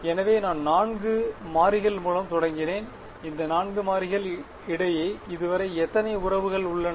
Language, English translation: Tamil, So, I started with 4 variables and how many relations do I have between these 4 variables so far